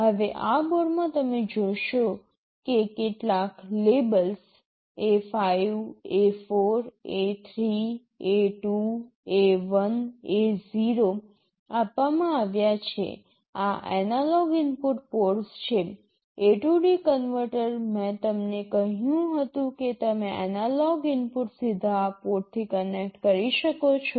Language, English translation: Gujarati, Now, in this board you will see that some labels are given A5, A4, A3, A2, A1, A0 these are the analog input ports; the A/D converter I told you you can connect an analog input directly to these ports